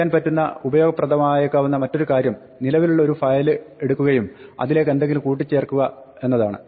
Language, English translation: Malayalam, The other thing which might be useful to do is to take a file that already exists and add something to it